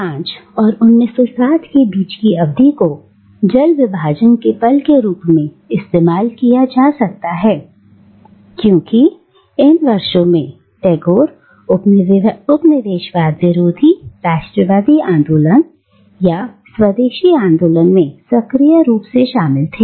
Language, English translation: Hindi, And, the period between 1905 and 1907 can be used as a watershed moment here because these were the years during which Tagore was most actively involved in the anti colonial nationalist movement or the Swadeshi movement